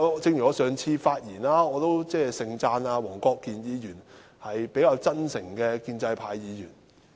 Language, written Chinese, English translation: Cantonese, 正如我上次在發言中，都盛讚黃國健議員是比較真誠的建制派議員。, In my previous speech I spoke highly of Mr WONG Kwok - kin being a relatively genuine pro - establishment Member